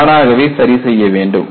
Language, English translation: Tamil, It has to repair by itself